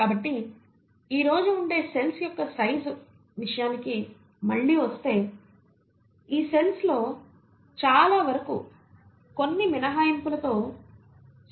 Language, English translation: Telugu, So, coming back to the size of the cells what we find as of today is that most of these cells with few exceptions, have a size in the range of 0